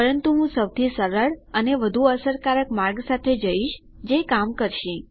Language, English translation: Gujarati, But I am going for the simplest and probably the most effective way which is going to work